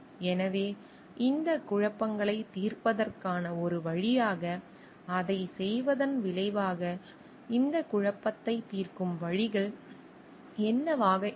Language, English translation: Tamil, So, as result of doing that as a way of solving this conflicts, what could be the ways in which this conflict can be solved